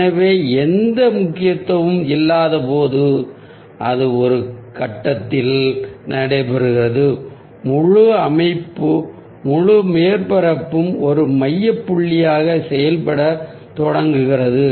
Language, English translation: Tamil, so when ah there is no emphasis that is taking place at one point, the entire ah composition, the entire ah surface starts working as a focal point